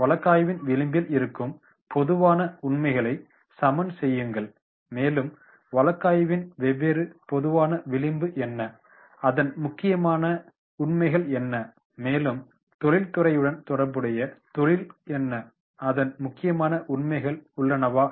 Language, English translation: Tamil, Level the facts in the margin of the case that is general and general what are the different margin of the case, important facts, then industry related to the industry what are the important facts are there